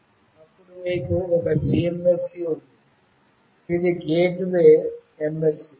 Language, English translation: Telugu, Then you have one GMSC, which is Gateway MSC